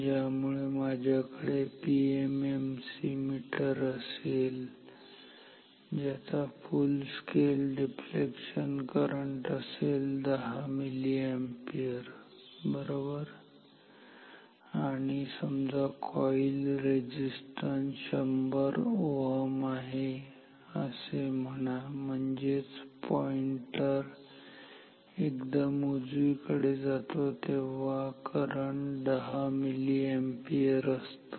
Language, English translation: Marathi, So, if I have a PMMC meter say if I have a PMMC meter with full scale deflection current say equal to 10 milliampere and say the coil resistance is say 100 ohm ok, so that means, the pointer goes to extreme right when the current is 10 milliampere